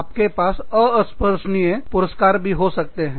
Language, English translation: Hindi, You can also have, intangible rewards